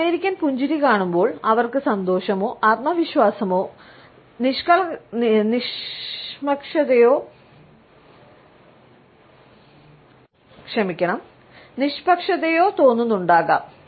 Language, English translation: Malayalam, When you see an American smiling, they might be feeling happy, confident or neutral